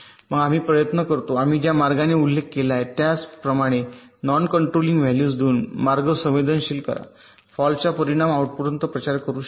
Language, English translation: Marathi, then we try to sensitize the path by assigning non controlling values, just in the way we mentioned ok, so that the effect of the fault can propagate up to the output